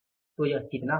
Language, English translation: Hindi, So, this is going to be how much